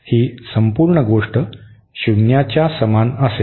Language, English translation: Marathi, This whole thing will be equal to 0